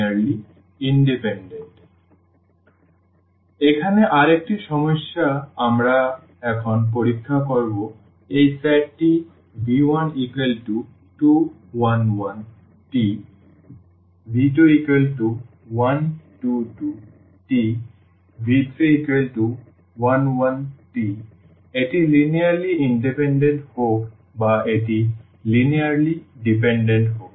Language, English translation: Bengali, So, the another problem here we will examine now this set 2, 1, 1 and 1, 2, 2 and 1, 1, 1 whether it is linearly independent or it is linearly dependent